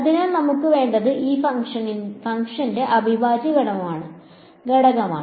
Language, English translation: Malayalam, So, and what we want is the integral of this function ok